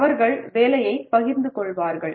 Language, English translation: Tamil, They will share the work